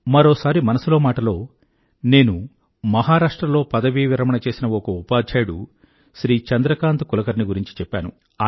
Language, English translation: Telugu, Once, in Mann Ki Baat, I had mentioned about a retired teacher from Maharashtra Shriman Chandrakant Kulkarni who donated 51 post dated cheques of Rs